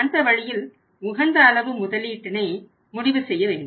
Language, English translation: Tamil, So, that way has to decide the optimum level of investment